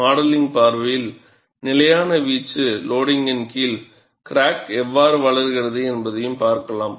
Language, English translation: Tamil, From modeling point of view, we may study, under constant amplitude loading, how the crack grows